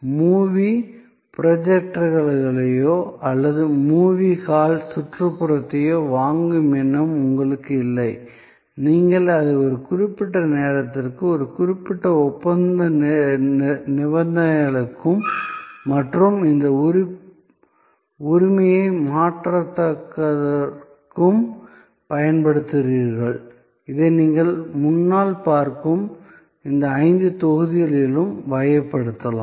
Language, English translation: Tamil, You have no intention of buying movie projectors or the movie hall ambience, you use it for a certain time and a certain contractual conditions and this non transfer of ownership, which can be categorized in these five blocks that you see in front of you